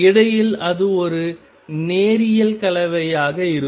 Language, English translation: Tamil, And in between it will be a linear combination